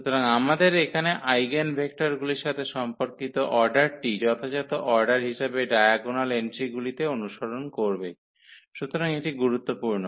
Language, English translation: Bengali, So, the order we place here for the eigenvectors corresponding order will be followed in the diagonal entries as the eigenvalues, so that is important